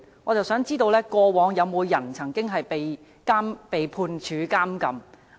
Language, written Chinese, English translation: Cantonese, 我想知道過往曾否有人被判處監禁？, May I know whether anyone was sentenced to imprisonment in the past?